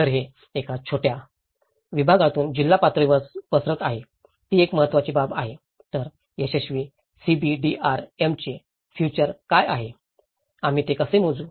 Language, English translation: Marathi, So, this is branching out from a small segment to a district level is a very important aspect, so what are the futures of the successful CBDRM, how do we measure it